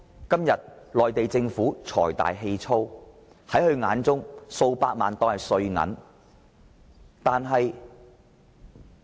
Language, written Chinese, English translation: Cantonese, 今天的內地政府財大氣粗，視數百萬元為零錢而已。, The Mainland Government is now rich and arrogant . In its eyes RMB several million is just small change